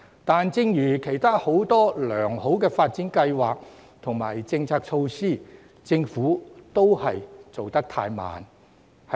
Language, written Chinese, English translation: Cantonese, 然而，正如其他很多良好的發展計劃及政策措施，政府都做得太慢。, However same as many other remarkable development plans and policy initiatives the speed of the Government was too slow